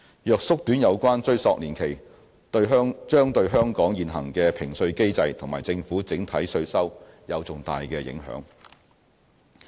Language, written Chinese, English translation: Cantonese, 若縮短有關追溯年期，將對香港現行的評稅機制和政府整體稅收有重大影響。, Shortening the retrospective period will have a significant impact on the current tax assessment mechanism and the overall government revenue